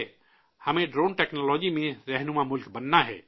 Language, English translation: Urdu, We have to become a leading country in Drone Technology